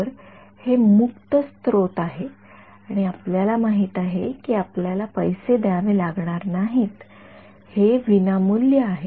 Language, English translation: Marathi, So, it is open source and you know you do not have to pay money for, it is free right